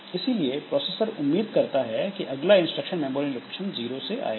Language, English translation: Hindi, So, that next instruction that the processor expects is from memory location 0